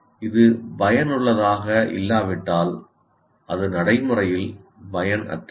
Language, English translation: Tamil, If it is not effective, it is practically useless